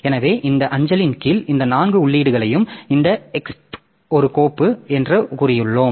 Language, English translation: Tamil, So, under this mail we have got say this four entries out of that this EXP is a file